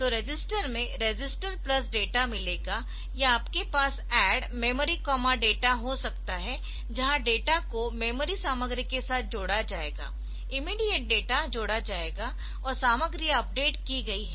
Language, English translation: Hindi, So, register get register plus data or you can have ADD memory comma data, where the memory content will be added and the data will be added with the memory content the immediate data will be added and the content is updated